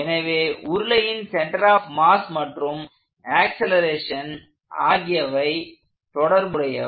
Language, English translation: Tamil, So, the linear acceleration of the mass center and the angular acceleration of the cylinder are related